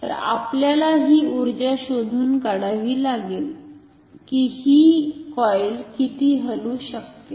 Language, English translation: Marathi, So, we have to find out with this energy how much can this coil move